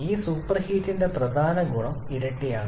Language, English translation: Malayalam, And the major advantage of this super heating is in two fold